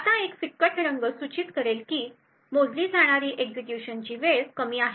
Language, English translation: Marathi, Now a lighter color would indicate that the execution time measured was low